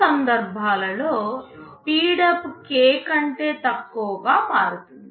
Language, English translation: Telugu, In those cases, the speedup will become less than k